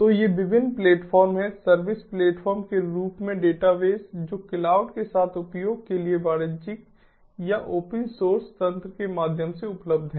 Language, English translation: Hindi, so these are the different platforms: database as a service, platforms that are available through commercial or open source mechanisms for use with cloud